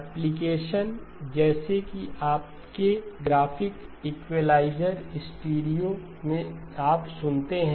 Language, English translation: Hindi, So application such as your graphic equaliser, in the stereo that you listen to